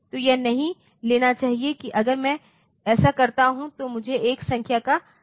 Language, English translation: Hindi, So, it should not take that if I do this I will get a negative of a number